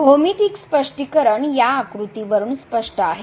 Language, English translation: Marathi, The geometrical interpretation is as clear from this figure